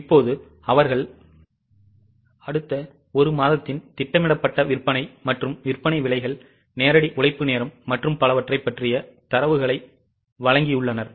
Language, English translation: Tamil, Now they have given the data about the next one month projected sales as well as sale prices, direct labour hours and so on